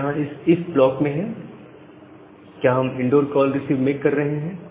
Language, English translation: Hindi, So, it is inside this if block here we are making this receive call and a send call